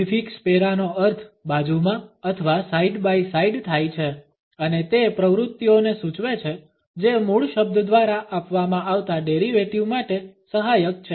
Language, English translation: Gujarati, The prefix para means beside or side by side and denotes those activities which are auxiliary to a derivative of that which is denoted by the base word